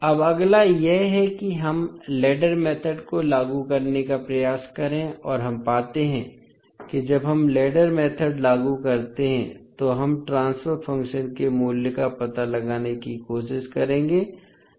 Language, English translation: Hindi, Now, next is that let us try to apply ladder method and we find we will try to find out the value of transfer function when we apply the ladder method